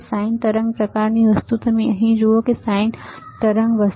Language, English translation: Gujarati, A sign wave kind of thing; you see here, sign wave kind of thing